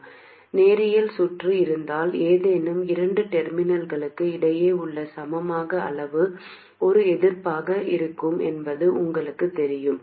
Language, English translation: Tamil, You know that if you have a linear circuit then the equivalent between any two terminals will be a resistance